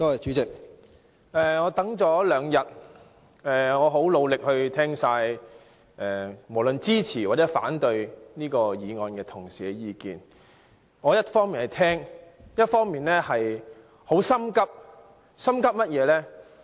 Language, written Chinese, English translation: Cantonese, 主席，我等了兩天，我很努力聽完無論支持或者反對這項議案的同事的意見，我一方面聆聽，另一方面很心急，心急甚麼呢？, President I have waited for two days . I tried hard to listen to the views delivered by my colleagues whether they are supportive of the motion . I was listening on the one hand and I was anxious on the other